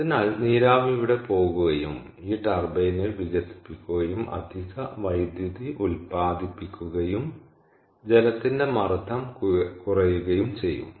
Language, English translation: Malayalam, ok, so, therefore, the steam will go here and will be expanded in this peaking turbine, thereby generating additional electricity, and the pressure of the water is going to go down